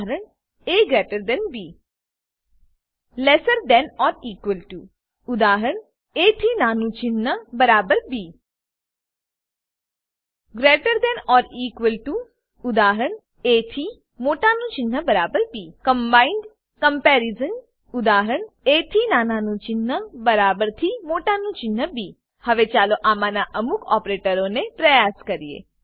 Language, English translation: Gujarati, a b = Lesser than or equal to Eg.a less than arrow equal b = Greater than or equal to Eg.a greater than arrow equal b = Combined comparison Eg.a less than arrow equal greater than arrow b Now let us try some of these operators